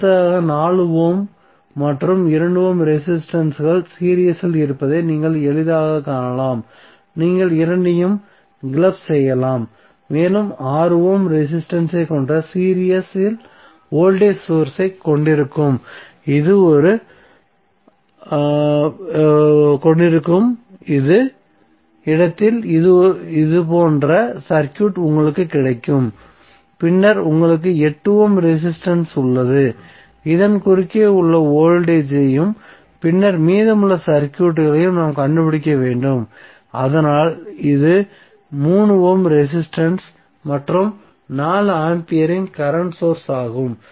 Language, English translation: Tamil, So, across AB your updated circuit would be like this next what we have to do, you have to, you can see easily that 4 ohm and 2 ohm resistances are in series so you can club both of them and you will get circuit like this where you have voltage source in series with 6 ohm resistance and then you have 8 ohm resistance, so we have to find out the voltage across this and then the rest of the circuit, so that is the 3ohm resistance, and the current source of 4 ampere